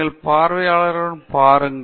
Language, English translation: Tamil, You look at the audience